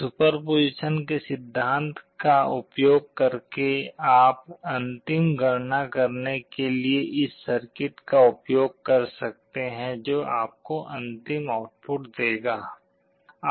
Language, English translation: Hindi, Using principle of superposition you can use this circuit to carry out the final calculation that will give you the final output